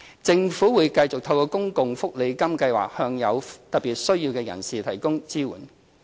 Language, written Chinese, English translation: Cantonese, 政府會繼續透過公共福利金計劃向有特別需要的人士提供支援。, The Government will continue supporting persons with special needs through the SSA Scheme